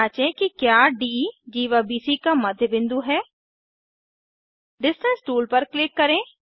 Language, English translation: Hindi, Lets verify whether D is the mid point of chord BC Click on the Distance tool